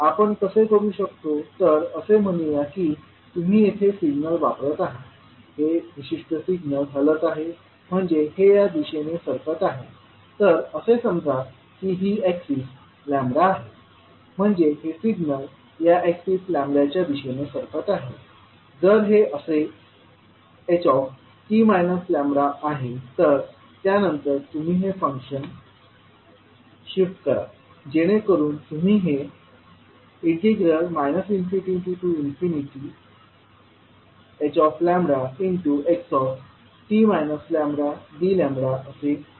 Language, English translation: Marathi, How we will do, so let us say that you are putting up signal here, your this particular signal is moving, so it is moving from this side to let us say this is axis lambda so you are shifting, this maybe like if you say this is ht minus lambda